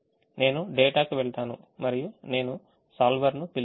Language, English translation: Telugu, i go to data and i call the solver